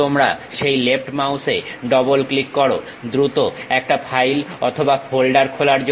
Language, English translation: Bengali, You double click that left mouse to quickly open a file or folder